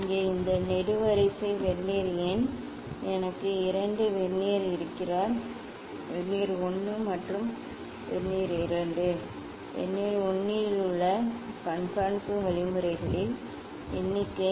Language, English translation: Tamil, here this column is Vernier number; I have two Vernier; Vernier 1 and Vernier 2; the number of observation means in Vernier 1